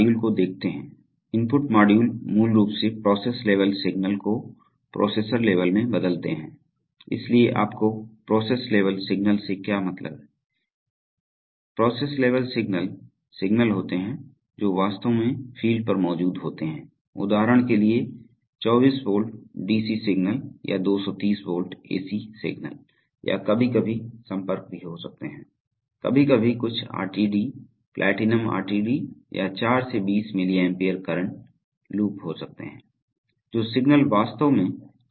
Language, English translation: Hindi, So we have, then we look at input modules, input modules basically convert process level signals to processor levels, so what do you mean by process level signals, process level signals are signals which actually exists on the field, for example there could be, there could be 24 volt DC signals or 230 volt AC signals or even sometimes contacts, sometimes some RTD, platinum RTD or could be a 4 to 20 milli ampere current loop, the signals which actually come out of sensors right